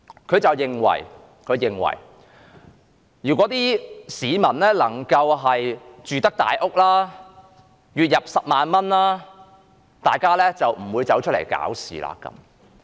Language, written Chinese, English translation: Cantonese, 他認為如果市民有能力住大屋，月入10萬元，他們便不會出來搞事。, In his opinion if people can afford a big house and earn 100,000 a month they will not come out to make trouble